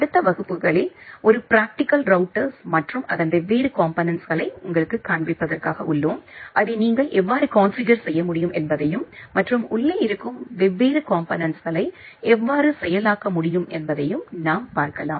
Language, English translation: Tamil, And in the next couple of classes, we will also go for a demonstration about IP router to show you a practical router and its different components which are there inside it and how can you configure it and how can you process different components which are there inside the router